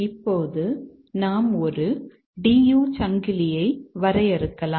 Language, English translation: Tamil, We can find other DU chains here